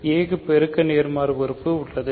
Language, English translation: Tamil, So, a has a multiplicative inverse